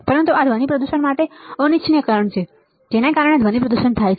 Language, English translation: Gujarati, But this is unwanted signal for the for the or this cause noise pollution right, this cause noise pollution